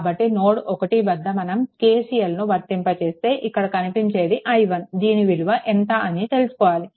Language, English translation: Telugu, So, at node 1 if you apply you what to call KCL here it is your i 1 is equal to your what to ah this thing